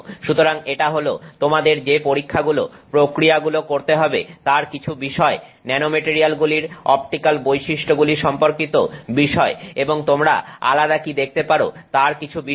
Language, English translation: Bengali, So, this is something about the experimental activities that you would have to do related to looking at optical properties of nanomaterials and what differences you can see